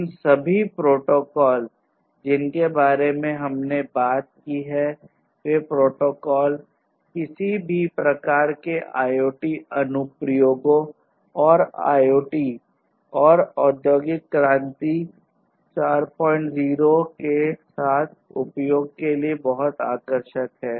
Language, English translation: Hindi, All these protocols that we have talked about are very much attractive for use with any kind of IoT applications and IoT and industry 4